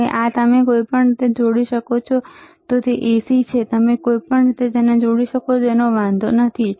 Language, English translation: Gujarati, Now this you can connect in any way it is AC, you can connect in any anyway does not matter